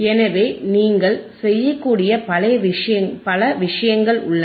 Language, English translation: Tamil, So, multiple things you can do